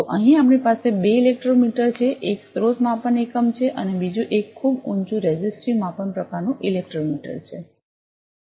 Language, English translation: Gujarati, So, we have two electrometer here, one is a source measure unit and another one is a very high resistive measurement type electrometer